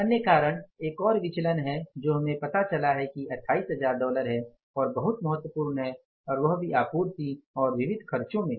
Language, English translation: Hindi, Another reason is another variance we have found out which is very significant by $28,000 and that too in the supplies and miscellaneous expenses